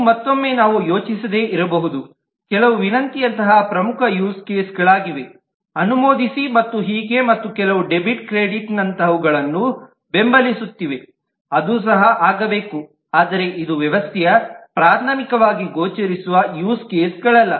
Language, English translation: Kannada, This may not again, we can think of that some are important use cases like request, approve and so on, and some are supporting ones like debit credit, which also must happen, but it is not primarily visible use cases of the system